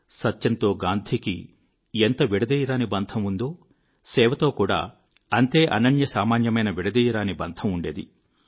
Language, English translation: Telugu, Gandhiji shared an unbreakable bond with truth; he shared a similar unique bond with the spirit of service